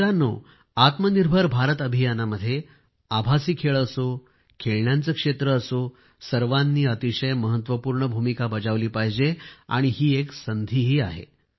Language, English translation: Marathi, Friends, be it virtual games, be it the sector of toys in the selfreliant India campaign, all have to play very important role, and therein lies an opportunity too